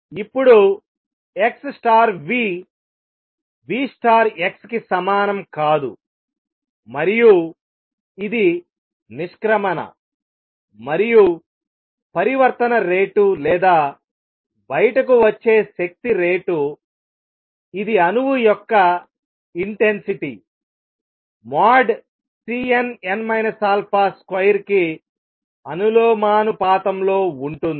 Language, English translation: Telugu, Now x times v is not going to the same as v times x, and this was a departure and the rate of transition or rate of energy coming out which is the intensity for an atom is going to be proportional to C n, n minus alpha mode square